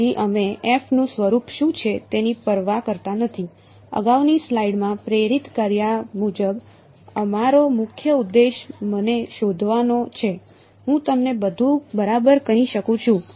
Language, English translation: Gujarati, So, we do not care what the form of f is ok, as motivated in the previous slide our main objective is find me g, I can tell you everything ok